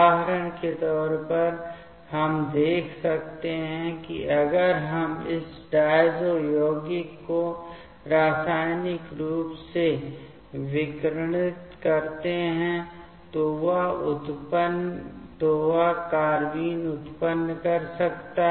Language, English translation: Hindi, As per example we can see if we photo chemically irradiate this diazo compounds, then that can generate the carbenes